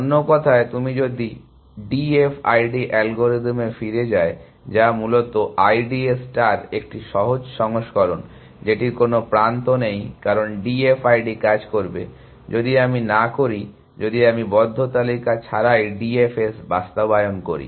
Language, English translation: Bengali, In other words, if you go back to the D F I D algorithm, which is basically a simpler version of I D A star that it does not have edge cause will D F I D work, if I do not, if I implement the D F S without a close list